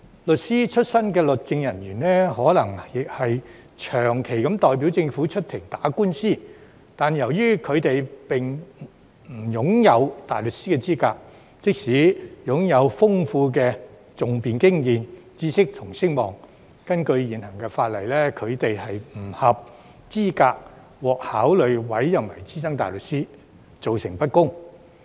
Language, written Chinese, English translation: Cantonese, 律師出身的律政人員或許長期代表政府出庭打官司，但由於他們並不擁有大律師資格，即使擁有豐富的訟辯經驗、知識和聲望，根據現行法例，亦不合資格獲考慮委任為資深大律師，造成不公。, Legal officers who started out as solicitors may have constantly represented the Government in litigation before the courts but since they are not qualified as barristers they are not eligible for consideration for appointment as SC under the existing legislation despite their substantial advocacy experience knowledge and standing resulting in unfairness